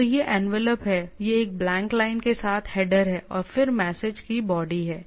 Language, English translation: Hindi, So, this is the envelope, this is the header with a blank line, you go on the body of the message right